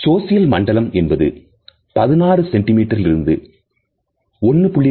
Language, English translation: Tamil, The social zone is somewhere from 46 centimeters to 1